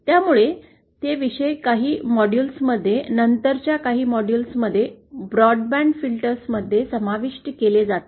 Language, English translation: Marathi, So, those topics will be covered in the in some models, in some later models broadband filters